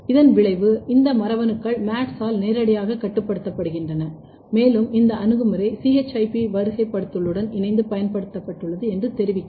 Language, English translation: Tamil, This is the effect which tells that, these genes are directly regulated by MADS1 and this approach has been used in combination with the ChIP sequencing